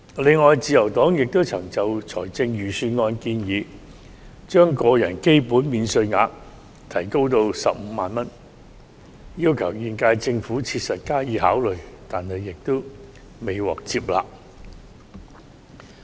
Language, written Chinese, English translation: Cantonese, 此外，自由黨亦曾建議預算案提高個人基本免稅額至15萬元，要求現屆政府切實考慮，但未獲接納。, Moreover the Liberal Party has also requested the current - term Government to give serious consideration to raising the basic personal allowance to 150,000 in the Budget but the proposal was not adopted